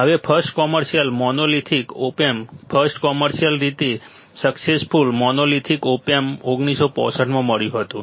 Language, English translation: Gujarati, Now, first commercially monolithic op amp, first commercially successful monolithic op amp was found in 1965, 1965 ok